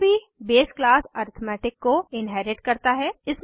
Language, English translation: Hindi, This inherits the base class arithmetic